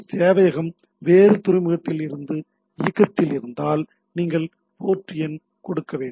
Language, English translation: Tamil, If your HTTP protocol HTTP server is running in some other port, you give the port number